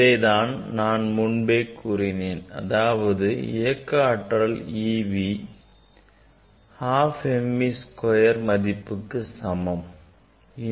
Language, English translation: Tamil, That is I told that e v, the potential energy e v equal to half m v square